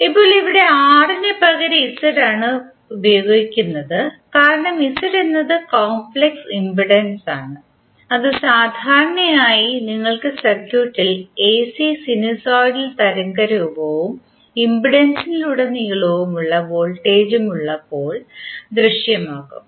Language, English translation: Malayalam, Now here we are using Z instead of R, because Z is the complex impedance and is generally visible when you have the AC sinusoidal wave form in the circuit and then the voltage across the impedance